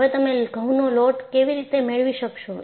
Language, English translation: Gujarati, How do you get the wheat flour